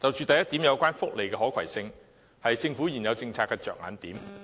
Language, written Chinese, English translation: Cantonese, 第一點有關福利的可攜性，是政府現有政策的着眼點。, First about the portability of welfare provision . This is also a major policy concern of the Government now